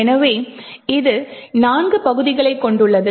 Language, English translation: Tamil, So, it comprises of four parts